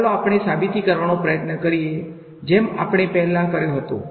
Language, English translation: Gujarati, Let us try to sketch out the proof like we did previously ok